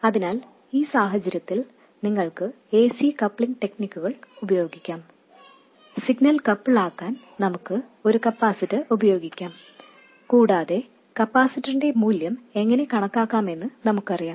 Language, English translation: Malayalam, So, in this case we can use AC coupling techniques, we can use a capacitor to couple the signal and we know how to calculate the value of the capacitor